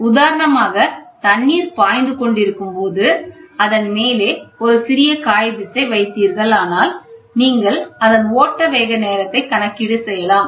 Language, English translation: Tamil, For example, if the water is flowing and on top of it, you put a small paper, and you time it, ok